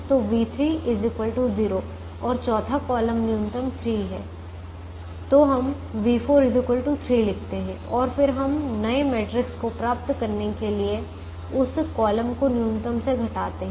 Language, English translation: Hindi, so we write v four is equal to three and then we subtract the column minimum from that to get the new matrix